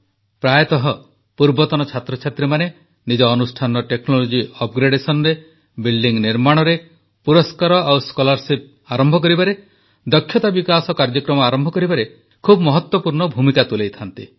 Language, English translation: Odia, Often, alumni play a very important role in technology upgradation of their institutions, in construction of buildings, in initiating awards and scholarships and in starting programs for skill development